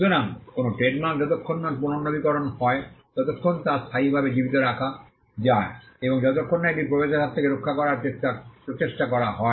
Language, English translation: Bengali, So, a trademark can be kept alive in perpetuity as long as it is renewed, and as long as efforts to protect it from entrainment are also done